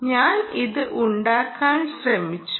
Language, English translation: Malayalam, and we were trying to